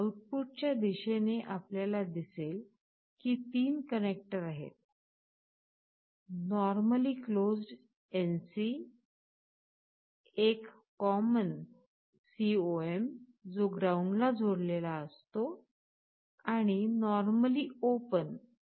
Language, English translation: Marathi, On the output side you see there are 3 connectors, normally closed , a common , which is connected to ground and normally open